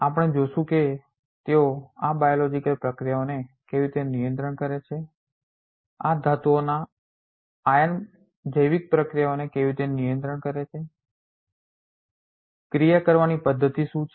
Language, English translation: Gujarati, We will see how they control these biological processes, how these metal ions concerned controls the biological processes, what is the mechanism of action